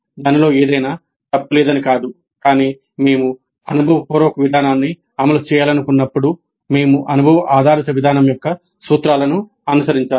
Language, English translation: Telugu, Not that there is anything wrong with it but when we wish to implement experiential approach we must follow the principles of experience based approach